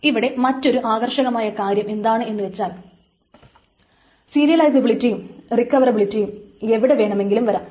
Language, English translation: Malayalam, But the interesting part here is that the serializability and recoverability apparently can take way in any part